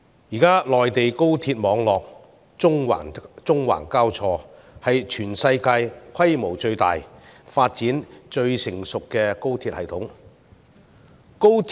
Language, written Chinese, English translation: Cantonese, 現在內地高鐵網絡縱橫交錯，是全世界規模最大、發展最成熟的高鐵系統。, The Express Rail network crisscrossing the Mainland is now the largest and best - developed high - speed rail system in the world